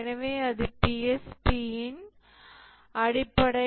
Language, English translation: Tamil, So that is the basic of the PSP